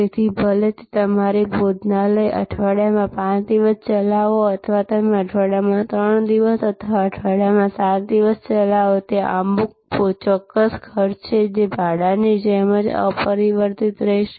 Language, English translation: Gujarati, So, whether you run your restaurant 5 days in a week or you run your restaurant 3 days in a week or 7 days in a week, there are certain costs, which will remain unaltered like rent